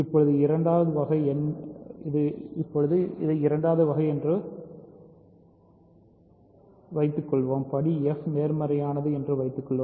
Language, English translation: Tamil, So, suppose now second case, suppose degree f is positive